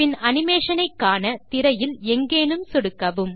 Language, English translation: Tamil, Then click anywhere on the screen to view the animation